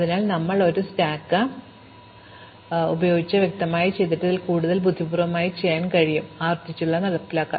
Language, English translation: Malayalam, So, what we did explicitly with a stack can be done more cleverly, if we just implement it recursively